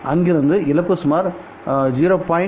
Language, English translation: Tamil, Today losses are around 0